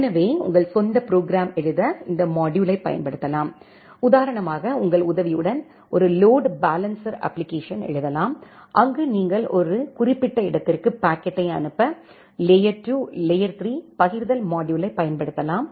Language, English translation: Tamil, So, you can utilize this module to write your own program say for example with the help of you can write a load balancer application, where you can utilize the layer 2, layer 3 forwarding module to forward the packet to a specific destination